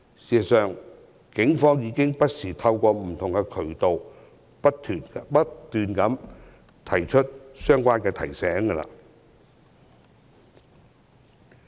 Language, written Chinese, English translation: Cantonese, 事實上，警方不時透過不同渠道不斷作出相關提醒。, In fact the Police have repeatedly issued such reminders through various channels